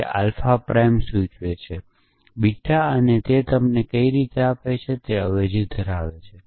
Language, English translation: Gujarati, It gives you alpha prime implies beta prime and how does it give you that it substitutes